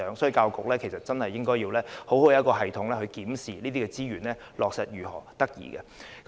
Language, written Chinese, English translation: Cantonese, 就此，教育局應該設立良好的體制，適時檢視這些資源的落實情況。, In this regard the Education Bureau should set up a good system to review the implementation of these resources in due course